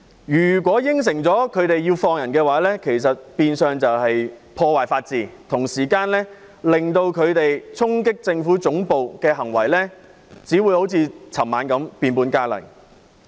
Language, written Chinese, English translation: Cantonese, 如果應承反對派釋放被捕人士，變相是破壞法治，同時只會令衝擊政府總部的行為好像昨晚般變本加厲。, If the opposition camps demand of releasing the arrested persons is acceded to it will damage the rule of law and acts such as charging the Central Government Offices last night will escalate